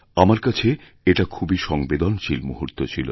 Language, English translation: Bengali, It was a very emotional moment for me